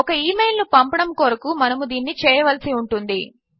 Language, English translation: Telugu, We need to do this in order to send the email